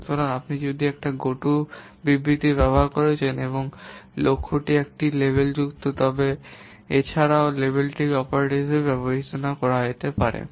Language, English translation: Bengali, So if you are using a go to statement and the target is a label, then also level is considered as an operator